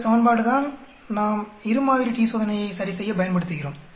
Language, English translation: Tamil, This is the equation which we use correct two sample t Test